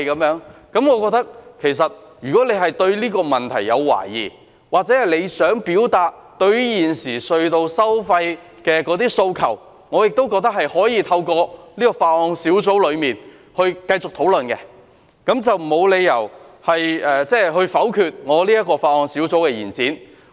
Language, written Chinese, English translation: Cantonese, 我覺得如果她對這個問題有懷疑，或她想表達對於現時隧道收費的訴求，我亦覺得可以透過法案委員會繼續進行討論，沒理由否決這項有關延展修訂期限的擬議決議案。, In my opinion if she has any doubts on this issue or if she wants to express her aspirations concerning the existing toll rates of tunnels she can have them continued to be discussed through the Bills Committee . It does not stand to reason that this proposed resolution to extend the amendment period has to be vetoed